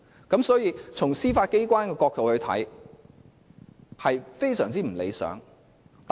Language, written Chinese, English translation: Cantonese, 因此，從司法機構的角度來說，這是極不理想的。, Hence from the Judiciarys point of view this is extremely unsatisfactory